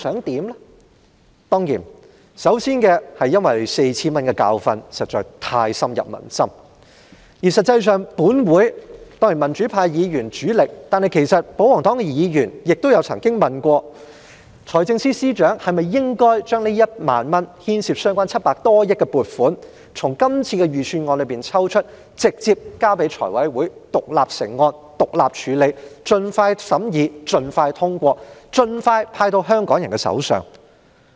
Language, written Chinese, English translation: Cantonese, 當然，首先是之前派發 4,000 元的教訓實在太深入民心，而且以我們民主派議員為主力，再加上保皇黨議員也曾問過，財政司司長是否應該把這1萬元所牽涉的700多億元撥款從今年的預算案中抽出，直接交給財委會獨立成案處理，以便盡快審議並通過，然後盡快派到香港人手上？, Of course first of all people have learnt a hard lesson in the previous payout of 4,000 . Furthermore queries have been raised mainly by pro - democracy Members and joined by some royalist Members as to whether the Financial Secretary should take out the 70 - odd billion involved in the payout of 10,000 from this years Budget and present the cash payout scheme directly to FC for independent scrutiny such that the funding can be expeditiously considered approved and disbursed to the people of Hong Kong